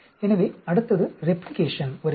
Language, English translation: Tamil, So, then next comes replication